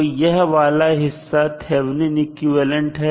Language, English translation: Hindi, So, this section would be your Thevenin equivalent